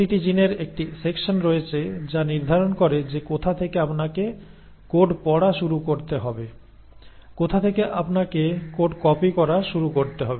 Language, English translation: Bengali, And each gene has a section which determines from where you need to start reading the code, from where you need to start copying the code